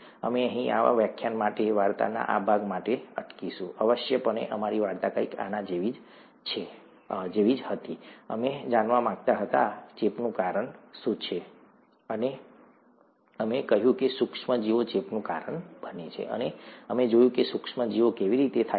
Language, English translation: Gujarati, We will stop here for, for this lecture, this part of the story, essentially our story went something like this, we wanted to know, what causes infection, and we said micro organisms cause infection, and we saw how micro organisms are organized for better understanding